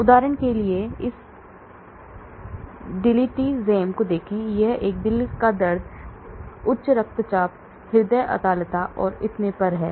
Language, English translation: Hindi, For example, look at this Diltiazem, this is a heart pain, high blood pressure, cardiac arrhythmia and so on